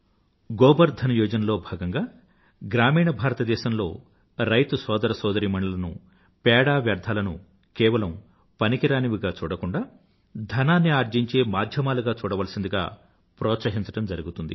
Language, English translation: Telugu, Under the Gobardhan Scheme our farmer brothers & sisters in rural India will be encouraged to consider dung and other waste not just as a waste but as a source of income